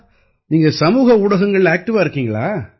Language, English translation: Tamil, So are you active on Social Media